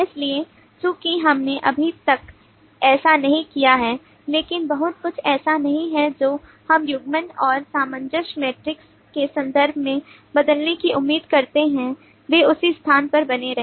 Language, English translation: Hindi, so since we have not yet done that so there is not much that we expect to change in terms of coupling and cohesion metric they remained to be at the same place